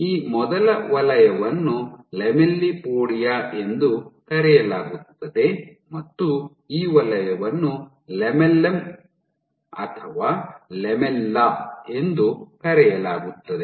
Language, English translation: Kannada, So, this zone first zone is called the, so this zone is called the lamellipodia and this zone is called the lamellum or lamella